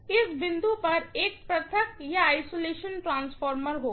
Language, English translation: Hindi, There will be an isolation transformer at this point